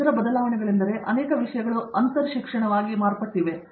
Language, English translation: Kannada, And, the other change that has taken place is many things have become interdisciplinary